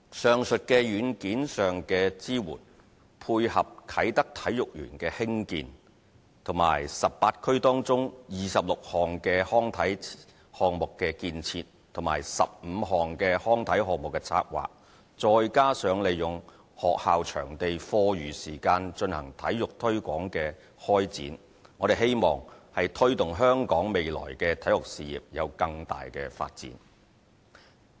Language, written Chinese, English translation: Cantonese, 上述在軟件上的支援，配合啟德體育園的興建，以及18區中26項康體項目的建設，與15項康體項目的策劃，再加上利用學校場地課餘時間進行體育推廣的開展，我們希望推動香港的體育事業未來有更大的發展。, With the aforementioned software support combined with the construction of the Kai Tak Sports Park as well as the construction of 26 and planning of 15 sports facilities in 18 districts plus the promotion of sports at school venues after school hours we hope to further promote the development of sports in Hong Kong in the future